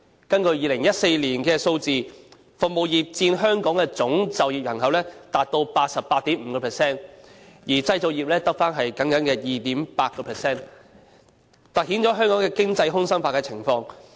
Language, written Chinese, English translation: Cantonese, 根據2014年的數字，服務業佔香港的總就業人口達 88.5%， 而製造業只僅餘 2.8%， 凸顯了香港的經濟空心化的情況。, According to figures services industries accounted for 88.5 % of Hong Kongs total employed population in 2014 while manufacturing industries accounted for a mere 2.8 % only . These figures highlight the complete hollowing out of the Hong Kong economy